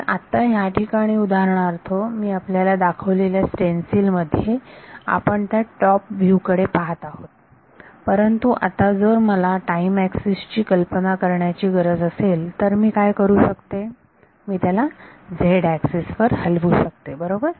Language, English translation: Marathi, So, right now for example, stencils which I have shown you we are looking at that top view, but now if I also wanted to visualize the time axis what can I do I can move it on the z axis right